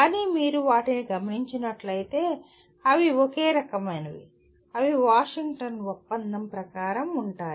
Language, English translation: Telugu, But when you see them together, they are in the same kind of, they are as per the spirit of Washington Accord